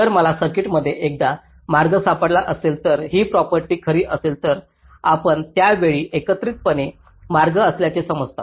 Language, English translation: Marathi, so if i can find ah path in the circuit such that this property is true, then you consider that's path together at a time